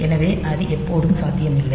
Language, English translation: Tamil, So, that may not be always possible